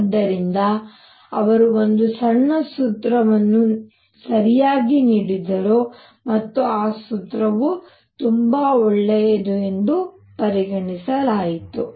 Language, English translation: Kannada, So, he gave a formula all right, and that formula turned out to be very good